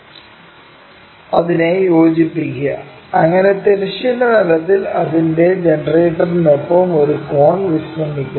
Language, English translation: Malayalam, Join that, so that we got a cone resting with its generator on the horizontal plane